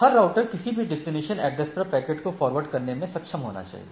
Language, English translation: Hindi, So, each router must be able to forward based on any destination IP address